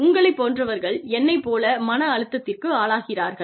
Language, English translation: Tamil, Those of you, who are prone to, being stressed like me